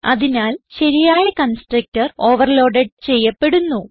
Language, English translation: Malayalam, So the proper constructor is overloaded